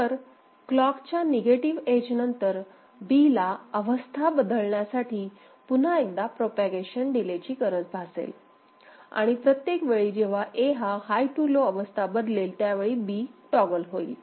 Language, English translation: Marathi, So, after the negative edge of the clock, so another propagation delay is required for B to change state, and B will toggle every time A changes from high to low ok